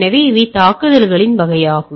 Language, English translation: Tamil, So, these are the type of attacks which can be there